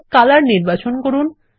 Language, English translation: Bengali, So lets select Color